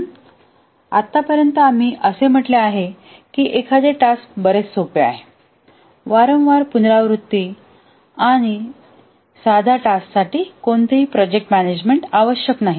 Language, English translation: Marathi, So far we have only said that a task is much simpler, often repetitive, and no project management is necessary for a simple task